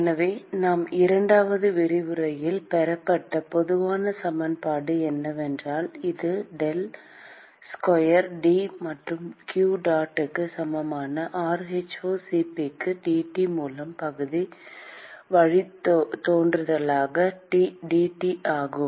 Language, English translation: Tamil, So, the general equation as we derived in the second lecture is that the it is k into del square T plus qdot equal to rho*Cp into partial derivative dT by dT